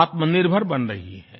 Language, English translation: Hindi, It is becoming self reliant